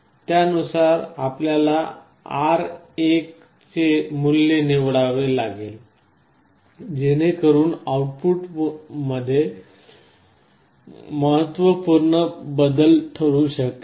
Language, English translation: Marathi, Accordingly you will have to choose the value of R1, so that the change in the voltage output can be significant